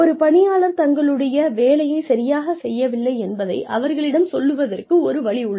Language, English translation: Tamil, There is a way of telling a person, that they are not doing their work